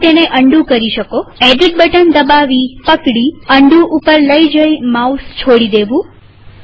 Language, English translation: Gujarati, You can undo it: Click the edit button, hold, go to Undo and release the mouse